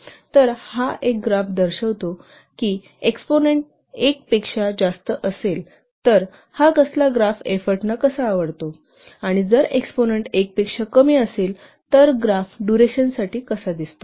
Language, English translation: Marathi, So this is a graph which shows that if the exponent is greater than one, so how this part graph look like for the effort and if the exponent is less than one how the graph is look like for the duration